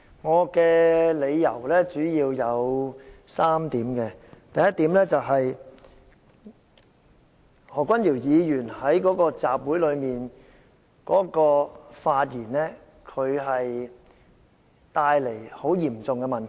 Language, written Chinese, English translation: Cantonese, 我的理由主要有3點，第一，何君堯議員在該次集會中的發言，是會帶來很嚴重的問題。, I oppose Mr CHANs motion mainly because of three reasons . First what Dr Junius HO has said in the rally will cause very serious problem